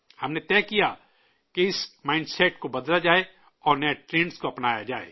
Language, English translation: Urdu, We decided that this mindset has to be changed and new trends have to be adopted